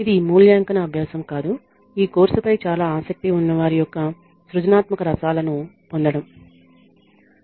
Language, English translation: Telugu, This is not an evaluative exercise; this is just to get the creative juices flowing of those who have been very interested in this course